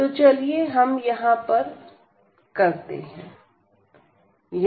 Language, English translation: Hindi, So, let us do it here